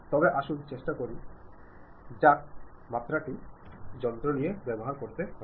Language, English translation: Bengali, But let us try whether really the dimension takes care or not